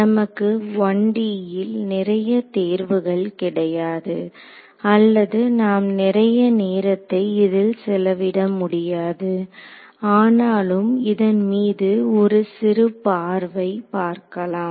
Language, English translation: Tamil, We did not have much of a choice in the case of 1D or we did not spend too much time on it but so, we will have a look at it over here